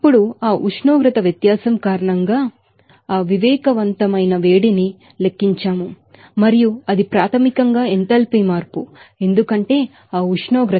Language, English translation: Telugu, Now, we have calculated that sensible heat because of that temperature difference and this is basically enthalpy change, because of that temperature